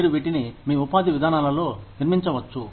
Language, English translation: Telugu, You can build, these things into your employment policies